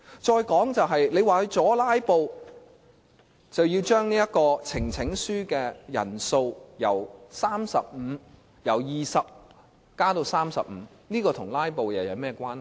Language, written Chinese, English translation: Cantonese, 再說，他們說為了阻止"拉布"，便要將呈請書的人數由20人增加至35人，這與"拉布"有何關係？, Besides they have proposed to increase the threshold for presenting a petition from 20 to 35 Members as a means of preventing filibustering . How is this related to filibustering?